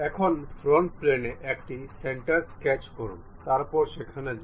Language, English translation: Bengali, Now, sketch a centre on a plane front plane, go there